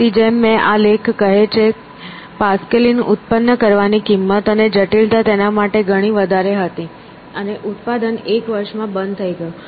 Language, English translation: Gujarati, So, as this article says, the cost and complexity of producing the Pascaline was too much for him; and the production ceased in a year